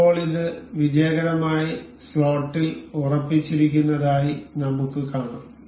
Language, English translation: Malayalam, Now, we can see it is successfully fixed into the slot